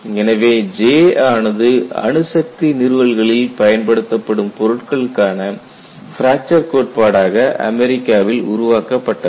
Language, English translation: Tamil, So, J is developed in the USA as a fracture criterion for materials used in nuclear installations